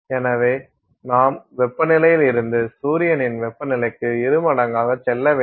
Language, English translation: Tamil, So, roughly double the temperature of the surface of the sun from that temperature to almost 0